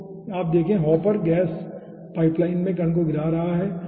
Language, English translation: Hindi, okay, so you see, here the hopper is dropping the particle in the gas pipeline